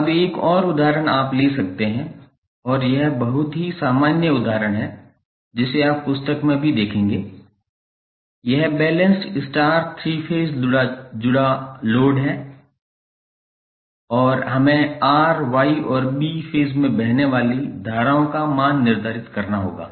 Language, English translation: Hindi, Now, another example which you can take and this is very common example you will see in book, this is balanced star connected 3 phase load and we need to determine the value of currents flowing through R, Y and B phase